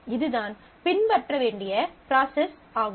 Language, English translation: Tamil, So, this is the process to follow